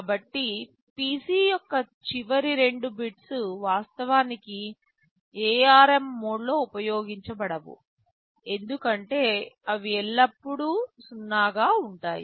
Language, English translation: Telugu, So, the last two bits of PC are actually not used in the ARM mode, as they will always be 0